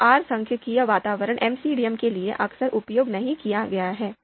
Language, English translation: Hindi, So R statistical environment has not been quite often used for MCDM